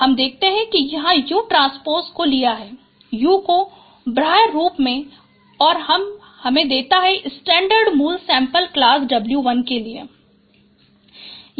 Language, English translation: Hindi, So we can see that from here you can take out U transpose U outside and this will give you the scatter of the original sample for class W1